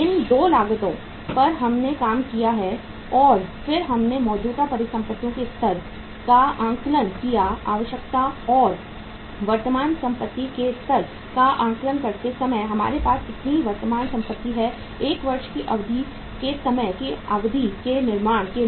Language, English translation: Hindi, These 2 costs we worked out and then we uh assessed the level of the current assets requirement and while assessing the level of the current asset how much current assets we have to build over a period of time in a period of 1 year